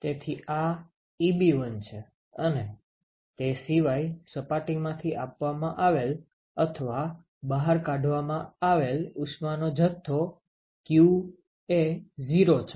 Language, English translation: Gujarati, So, this is Eb1 except that the q to the amount of heat that is given or taken out from that surface is 0